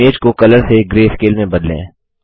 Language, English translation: Hindi, Now let us change the picture from color to greyscale